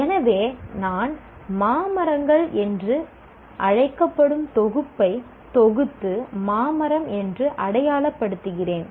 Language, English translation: Tamil, So, I am grouping a set of elements called mango trees and calling it as a label called mango tree